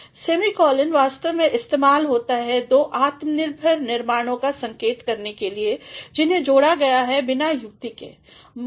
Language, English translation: Hindi, Semicolon actually is used to indicate two independent constructions which are joined without a conjunction